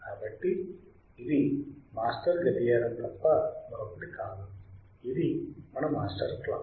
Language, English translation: Telugu, So, this is nothing but a master clock; it is our master clock right